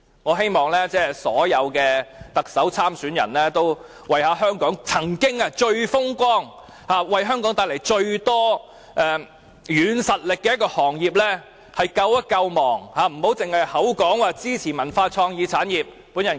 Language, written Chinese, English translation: Cantonese, 我希望所有特首選舉參選人都能為香港這個曾經最風光、帶來最大軟實力的行業進行救亡，不要只是口說支持文化創意產業。, I hope all candidates of the Chief Executive Election would try to do something to save our television industry which was once the most successful industry and the most blossoming soft power of Hong Kong and would not just pay lip service to supporting the development of cultural and creative industries